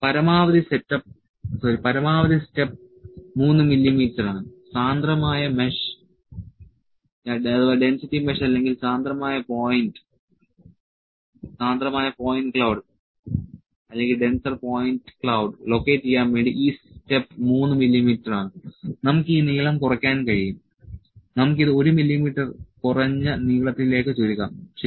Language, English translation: Malayalam, That the maximum step is 3 mm, this step is 3 mm to locate a denser mesh or denser point cloud we can reduce this length, let us reduce this to some shorter length 1 mm, ok, Go